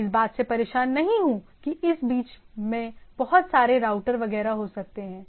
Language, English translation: Hindi, I am not bothered that in between there may be lot of routers etcetera and so and so forth